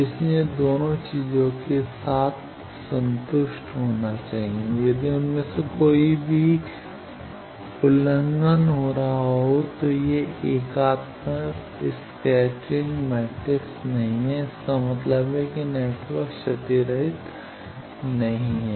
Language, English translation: Hindi, So, both the things should be simultaneously satisfied, if any of them is violated it is not unitary scattering matrix that means, the network is not lossless